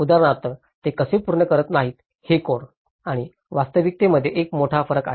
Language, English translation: Marathi, Like for example, how does it does not meet with there is a big difference between the codes and the reality